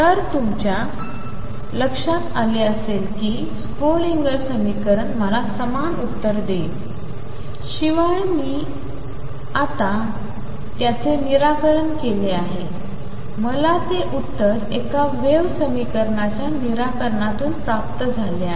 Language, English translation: Marathi, So, you see Schrödinger equation gives me the same answer except, now that I have solved it now I have obtained that answer through the solution of a wave equation